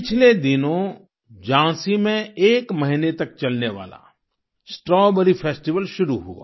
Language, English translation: Hindi, Recently, a month long 'Strawberry Festival' began in Jhansi